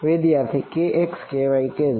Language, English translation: Gujarati, k x k y k z